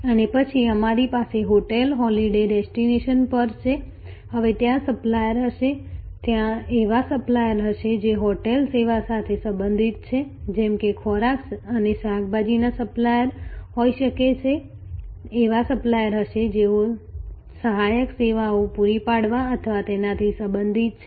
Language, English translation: Gujarati, And then, we have the hotel at the holiday destination, now there will be suppliers, there will be suppliers who are related to the hotel service like may be food and vegetable suppliers, there will be suppliers who are related to providing auxiliary services or associated services like say local tourism or transportation and so on